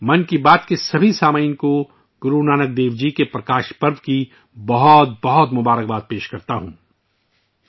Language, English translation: Urdu, I convey my very best wishes to all the listeners of Mann Ki Baat, on the Prakash Parv of Guru Nanak DevJi